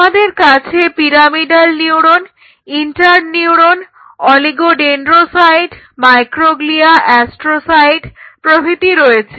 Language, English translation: Bengali, So, again just let me enlist pyramidal neurons inter neurons oligo dendrocytes you will have micro glia will have astrocytes